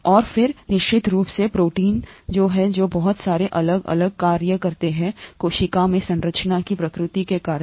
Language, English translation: Hindi, And then of course proteins which which form very many different functions in the cell because of the nature of the structure